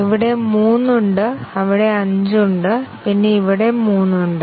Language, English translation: Malayalam, There are 3 here and there are 5 here and then there are 3 here